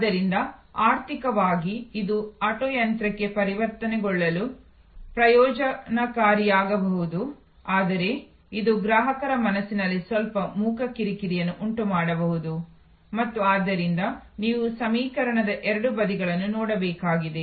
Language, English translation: Kannada, So, even though economically it may be beneficial to convert to auto machine, but it may create some silent irritation in customer's mind and therefore, you need to look at both sides of the equation